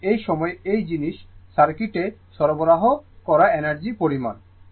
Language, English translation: Bengali, And the amount and the amount of energy delivered to this thing circuit during this